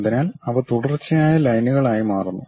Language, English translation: Malayalam, So, those becomes continuous lines